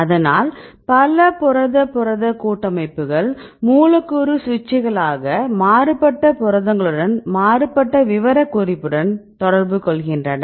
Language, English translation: Tamil, So, also the several protein protein complexes, they are acting as molecular switches right this interact with the different proteins with the varying specificity right